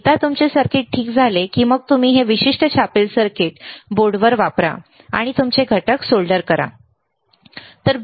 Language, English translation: Marathi, Once your circuit is ok, then you use this particular printed circuit board and solder your components, right